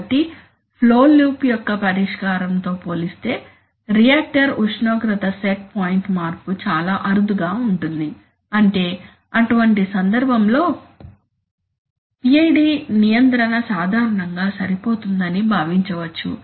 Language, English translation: Telugu, So the reactor temperature set point change will be so infrequent compared to the, compared to the settling of the flow loop is that, in, I mean in such a case PI control which is generally considered adequate enough